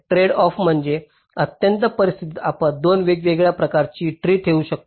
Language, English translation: Marathi, tradeoff means we can have, in the extreme case, two different kinds of trees